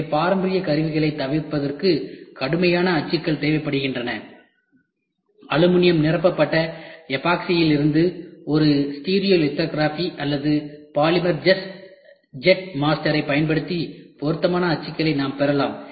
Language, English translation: Tamil, Therefore, rigid molds are needed to avoid traditional tooling suitable rigid molds can be cast from aluminium filled epoxy using a stereolithography or a polymer jet master we can get that